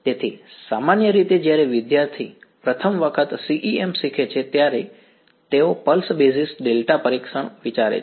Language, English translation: Gujarati, So, usually when student learns CEM for the first time they think pulse basis delta testing